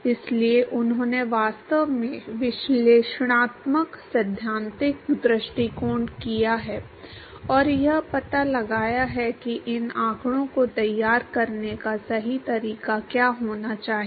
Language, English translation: Hindi, So, he has actually done the analytical theoretical approach and found out what should be correct way to plot these data